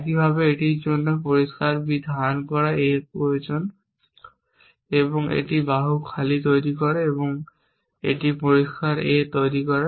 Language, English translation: Bengali, Likewise this needs clear B holding A and it produces arm empty and its produces clear A